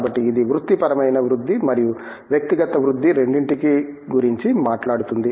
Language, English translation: Telugu, So, it talks about both professional growth and personal growth